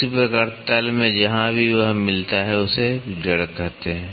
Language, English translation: Hindi, In the same way in the bottom wherever it meets in it is called as the root